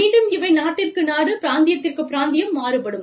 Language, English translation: Tamil, Again, these would vary from, country to country, from, region to region